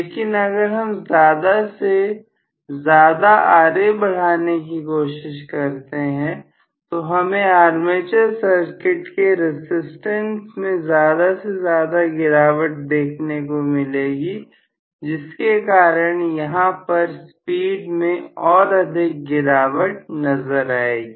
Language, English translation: Hindi, But if I try to include more and more Ra, I am going to have more and more drop in the armature circuit resistance here, because of which the speed is falling more and more